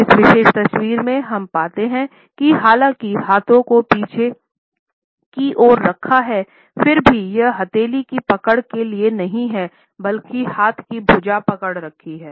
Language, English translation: Hindi, In this particular photograph, we find that though the hands are held behind the back still it is not a palm to palm grip rather the hand is holding the arm